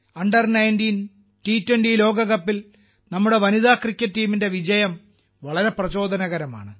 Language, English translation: Malayalam, The victory of our women's cricket team in the Under19 T20 World Cup is very inspiring